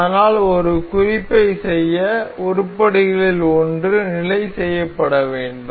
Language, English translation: Tamil, But to make a reference we need one of the items to be fixed